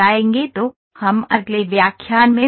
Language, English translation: Hindi, So, let us meet in the next lecture